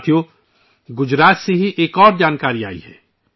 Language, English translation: Urdu, Friends, another piece of information has come in from Gujarat itself